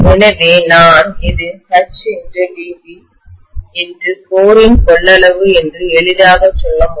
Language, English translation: Tamil, So I can simply say, it is H DB multiplied by the volume of the core, right